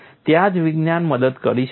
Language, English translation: Gujarati, That is where science can help